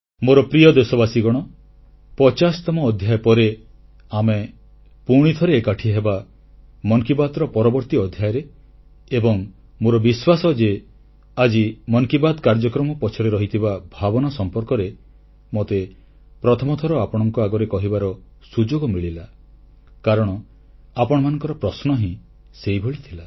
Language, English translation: Odia, My dear countrymen, we shall meet once again in the next episode after this 50th episode of Mann Ki Baat and I am sure that in this episode of Mann Ki Baat today I got an opportunity for the first time to talk to you about the spirit behind this programme because of your questions